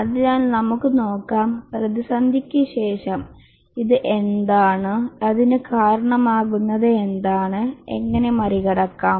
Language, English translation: Malayalam, So let's see what is this software crisis, what causes it and how to overcome